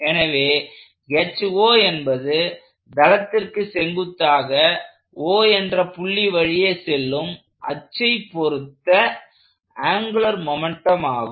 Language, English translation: Tamil, So, this H sub O is the angular momentum about an axis passing through O perpendicular to the plane of the paper